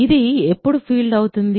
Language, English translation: Telugu, So, when is this a field